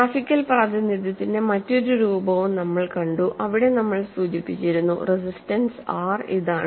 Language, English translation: Malayalam, We also saw another form of graphical representation, where we had mentioned, the resistance R is this much